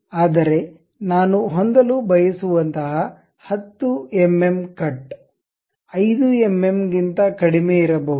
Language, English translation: Kannada, But something like 10 mm cut I would like to have, may be lower than that 5 mm